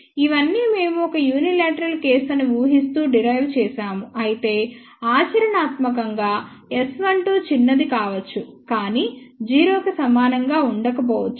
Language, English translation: Telugu, However, all this while we have done the derivation assuming it is a unilateral case, however practically S 12 may be small, but may not be equal to 0